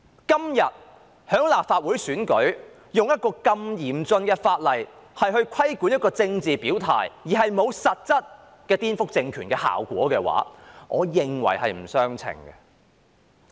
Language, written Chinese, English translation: Cantonese, 今天立法會選舉用一項如此嚴峻的法例規管沒有實質顛覆政權效果的政治表態，我認為是不相稱的。, That was expression of political stance . I find it disproportionate to use such a harsh law in the Legislative Council election today to regulate expression of political stance which does not have any actual effect of subversion